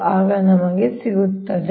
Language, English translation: Kannada, right, then we will get the answer